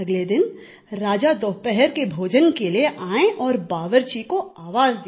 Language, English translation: Hindi, Then next day the king came for lunch and called for the cook